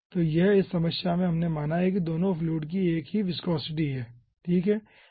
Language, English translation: Hindi, in this problem we have considered both the fluids are having same viscosity